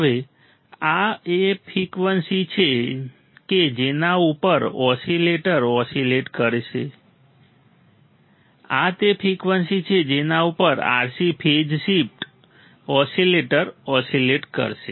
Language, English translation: Gujarati, Now, this is the frequency at which the oscillator will oscillate this is the frequency at which the RC phase shift oscillator will oscillate